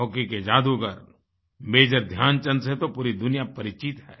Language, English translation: Hindi, Hockey maestro Major Dhyan Chand is a renowned name all over the world